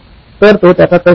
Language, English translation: Marathi, So that was his reasoning